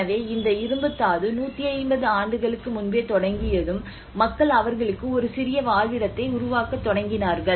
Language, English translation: Tamil, So when this iron ore have started just 150 years before and that is where people started developing a small habitat for them